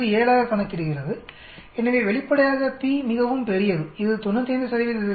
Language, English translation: Tamil, 17, so obviously p is very large, it should have been less than 0